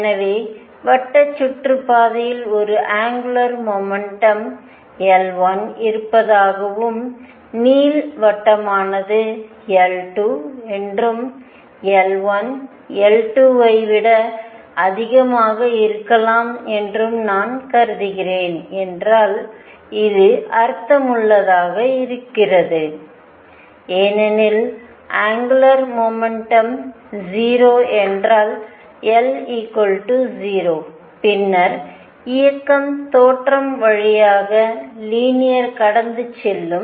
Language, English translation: Tamil, So, if I have considered suppose the circular orbit has a angular moment L 1 and the elliptical one is L 2 and L 1 could be greater than L 2 this makes sense because if the angular momentum is 0 suppose angular momentum is 0, L equal to 0, then the motion will be linear passing through the origin